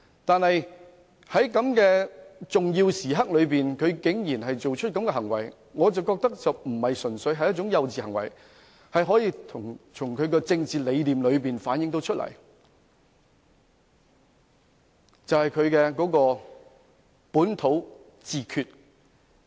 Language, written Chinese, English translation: Cantonese, 然而，在如此重要的時刻，他竟然作出這種行為，我認為並非純屬幼稚行為，而是從他的政治理念可以反映出來，即他倡議的本土自決。, Nevertheless we just cannot believe that at such a critical juncture he could have behaved like that . I do not consider them purely childish acts . Instead they reflect his political ideas that is localist self - determination advocated by him